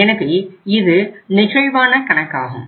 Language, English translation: Tamil, So this is a flexible account available